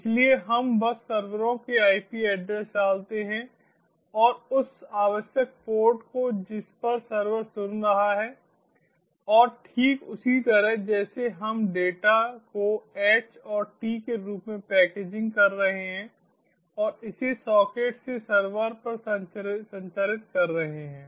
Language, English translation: Hindi, so we just put in the servers ip address and that required port to which on which the server is listening and, just like before, we are packaging the data in the form of h and t and transmitting it over the socket to the server